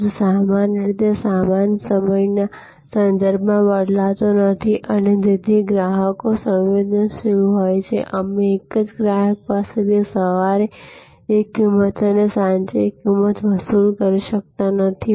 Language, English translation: Gujarati, But, normally goods do not vary with respect to time and therefore, customers are sensitive, you cannot charge the same customer one price in the morning and one price in the evening